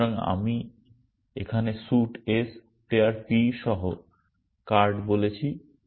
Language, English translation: Bengali, So, here I said card with suit s, player p